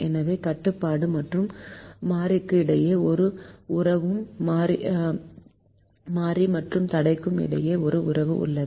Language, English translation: Tamil, so there is a relationship between constraint and variable and a relationship between variable and constraint